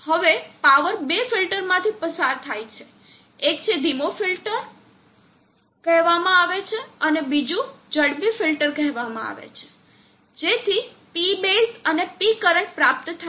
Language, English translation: Gujarati, Now the power is pass through two filters, one is called the slow filter and another called the fast filter, to obtain P base and P current